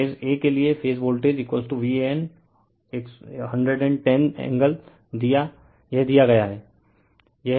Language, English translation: Hindi, So, for phase a, phase voltage is equal to V an at the 110 angle, this is given